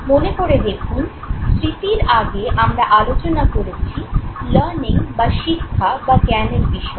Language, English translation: Bengali, Now remember before memory we have talked about learning